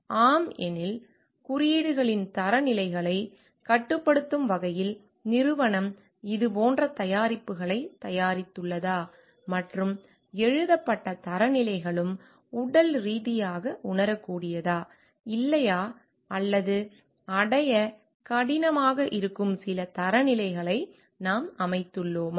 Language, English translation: Tamil, If yes, then whether the company has produced the like products as per their limiting the standards on codes, and the standards that are written also are it like physically realizable or not or we have set some standards which is very hard to achieve